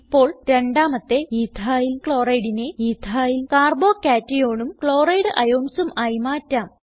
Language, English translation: Malayalam, Now, lets convert second EthylChloride to Ethyl Carbo cation and Chloride ions